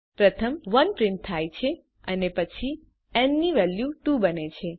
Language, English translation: Gujarati, First, the value 1 is printed and then n becomes 2